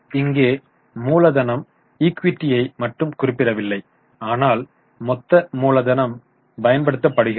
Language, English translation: Tamil, Here the capital does not refer only to equity but the total capital employed